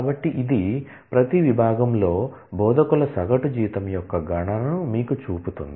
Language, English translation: Telugu, So, this is showing you the computation of average salary of instructors in each department